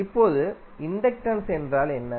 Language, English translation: Tamil, Now, inductance is what